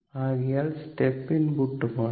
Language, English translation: Malayalam, So, I step your step input right